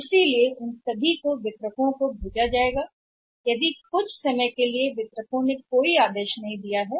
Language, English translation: Hindi, So, they will be sent to the distributors even sometime is a distributors not placed any order